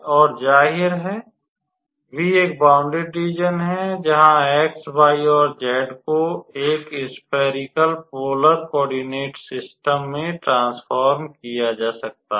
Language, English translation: Hindi, And obviously, v is a bounded region where x, y, and z can be transformed into a spherical polar coordinate system